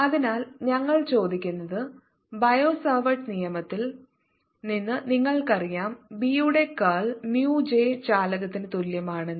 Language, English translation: Malayalam, so what we are asking is: you know from the bio savart law that curl of b is equal to mu j conduction